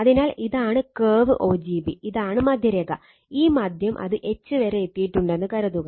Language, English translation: Malayalam, So, this is the curve o g b right, this is the middle line right, this middle your curve right o g b right, suppose it has reach up to H